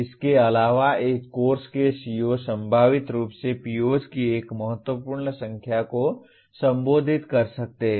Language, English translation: Hindi, Further a CO of a course can potentially address a significant number of POs